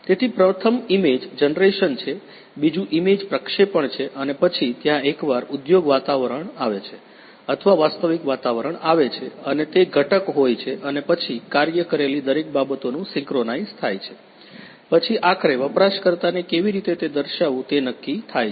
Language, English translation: Gujarati, So, first is image generation, second is image projection and then there is there comes the once the industry environment or the actual environment is created and it is component and every other things then working is simulated synchronized, then the ultimately how to interface with the user